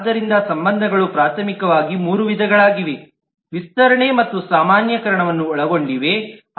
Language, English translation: Kannada, So relationships are primarily of 3 kind: include, extend and generalization